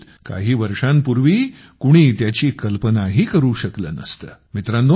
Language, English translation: Marathi, Perhaps, just a few years ago no one could have imagined this happening